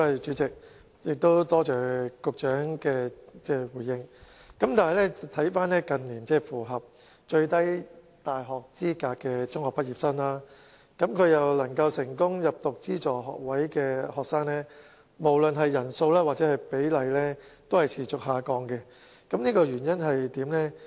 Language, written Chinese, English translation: Cantonese, 主席，多謝局長的回應，但近年符合大學最低入讀要求而又能夠成功入讀資助學士學位課程的中學畢業生，無論是人數或比例均持續下降，原因為何？, President I thank the Secretary for his reply . But in recent years both the number and proportion of secondary school leavers who have met the minimum requirements for university admission and successfully enrolled in funded undergraduate programmes have been on the decline . What is the reason for it?